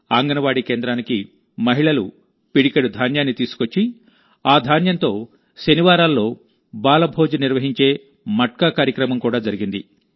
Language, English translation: Telugu, A Matka program was also held, in which women bring a handful of grains to the Anganwadi center and with this grain, a 'Balbhoj' is organized on Saturdays